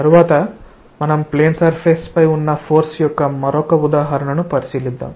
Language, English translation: Telugu, Next we will consider another example on force on a plane surface